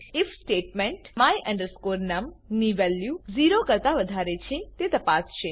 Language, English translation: Gujarati, The if statement will check the value of my num is greater than 0